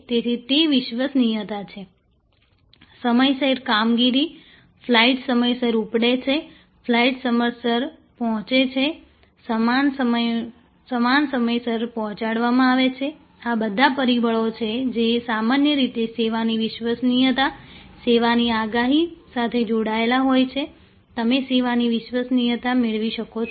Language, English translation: Gujarati, So, that is reliability, performance on time, the flights take off on time, the flights arrive on time, baggage’s are delivered on time, these are all factors that are usually connected to reliability of the service, predictability of the service, you can dependability of the service